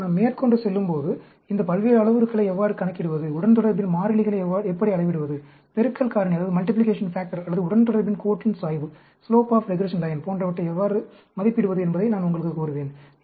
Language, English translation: Tamil, And, we will go down, as we go along to… and I will tell you how to calculate these various parameters, and how to estimate the constants of regression, the multiplication factor or the slope of regression line, and so on